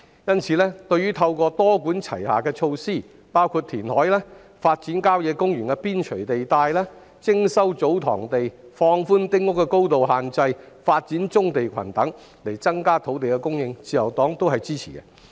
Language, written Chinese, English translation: Cantonese, 因此，對於政府透過多管齊下的措施，包括填海、發展郊野公園邊陲地帶、徵收祖堂地、放寬丁屋的高度限制、發展棕地群等，以增加土地供應，自由黨均會支持。, Therefore the Liberal Party supports the Governments multi - pronged measures to increase land supply by reclamation developing sites on the periphery of country parks resuming TsoTong lands relaxing the height restrictions on small houses developing brownfield sites and so on